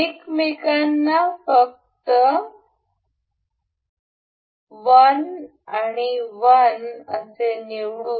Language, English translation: Marathi, Let us just select 1 and 1 to each other